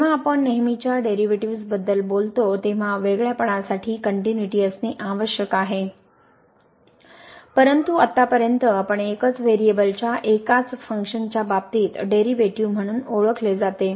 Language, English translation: Marathi, When we talk about the usual derivatives, the continuity is must for the differentiability, but that is so far we called differentiability or getting the derivative there in case of single functions of single variable, we need continuity of the function